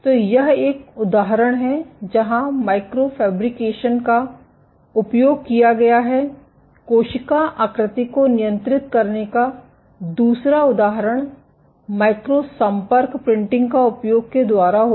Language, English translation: Hindi, So, this is one example where microfabrication has been used, the other example of controlling cell shape is using micro contact printing